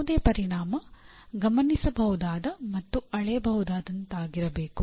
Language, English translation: Kannada, And any outcome that you identify should be observable and measureable